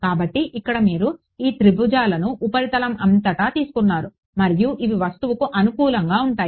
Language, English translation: Telugu, So, here they have made these triangles all over the surface and these are conformal to the object ok